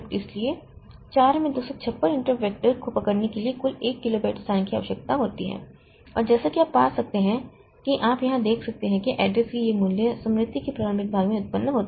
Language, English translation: Hindi, So, 256 possible interrupt so 256 into 4 total 1 kilobyte space is required to hold the interrupt vector and as you can find as you can see here these values of the addresses that are generated are in the initial portion of the memory